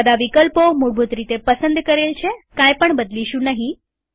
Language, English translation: Gujarati, All the options are selected by default